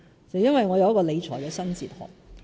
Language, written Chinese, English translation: Cantonese, 是因為我有一個理財新哲學。, It is because I uphold a new fiscal philosophy